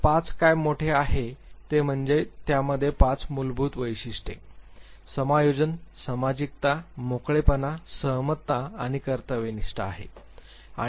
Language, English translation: Marathi, So, what big 5 does is that, it has 5 basic characteristics, adjustment, sociability, openness, agreeableness and conscientiousness